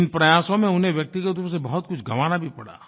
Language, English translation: Hindi, In this endeavour, he stood to lose a lot on his personal front